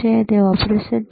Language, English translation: Gujarati, Is it operation